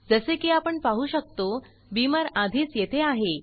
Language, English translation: Marathi, We can see that Beamer is already here, as we saw